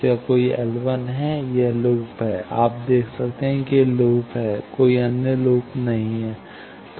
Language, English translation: Hindi, Yes, this is the loop, you see this is the loop there are no other loops